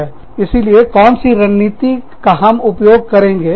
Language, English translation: Hindi, So, which tactic, do you use